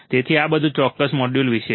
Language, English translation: Gujarati, So, this is all about this particular module